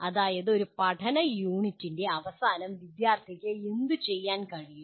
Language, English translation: Malayalam, That means what should the student be able to do at the end of a learning unit